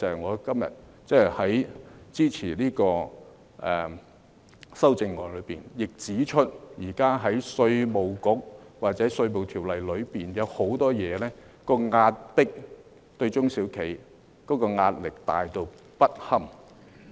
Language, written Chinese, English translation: Cantonese, 我今天支持修正案之餘，亦要指出現時稅務局或《稅務條例》當中，有很多對中小企的壓迫，而且壓力巨大不堪。, Today despite my support for the amendment I would like to point out that many practices adopted by IRD or the Inland Revenue Ordinance are oppressing SMEs and heaping enormous pressure on them